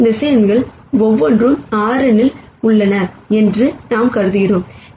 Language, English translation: Tamil, Then we would assume that each of these vectors are also in R n